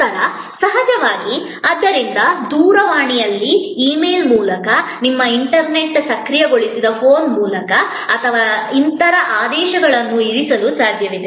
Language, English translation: Kannada, Then, of course, therefore it is possible to place an order on telephone, through email, through your internet enabled phone and so on